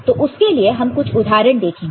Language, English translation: Hindi, So, for that we look at some examples